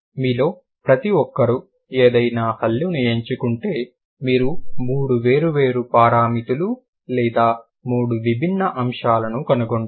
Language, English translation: Telugu, Each of you pick and choose any consonant, you will find three different parameters or three different aspects of it